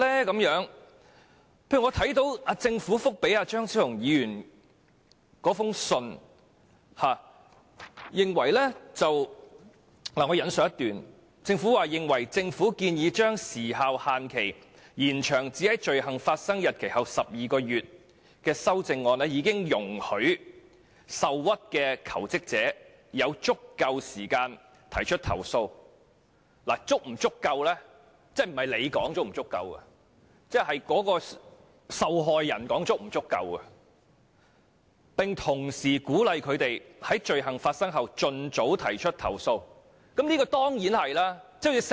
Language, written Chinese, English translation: Cantonese, 舉例而言，我看到政府對張超雄議員的信件所作的回覆，其中一段提到政府認為建議延長時效限制至在罪行發生的日期後12個月的修正案已容許受屈的求職者有足夠時間提出投訴——時間足夠與否其實應由受害人而非政府決定——並同時鼓勵他們在罪行發生後盡早提出投訴，這當然是正確的。, For example I have read the Governments reply to Dr Fernando CHEUNGs letter in which one of the paragraphs states that the Government considers its amendment proposing to extend the time limit to within 12 months after the date of the commission of the offence has allowed sufficient time for aggrieved jobseekers to file complaints―but whether the time is sufficient should actually be a matter decided by victims instead of the Government―and at the same time encouraged them to file complaints as soon as possible after commission of the offence . This is certainly true